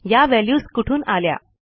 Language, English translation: Marathi, Where did these values come from